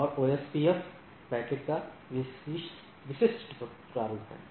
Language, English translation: Hindi, And this is the typical format of the OSPF packet